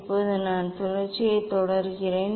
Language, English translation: Tamil, Now, I am continuing the rotation